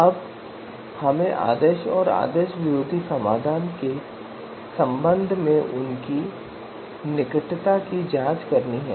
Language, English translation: Hindi, Now we have to check their closeness with respect to the ideal and anti ideal solution